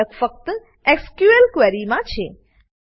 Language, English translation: Gujarati, The only difference is in the SQL query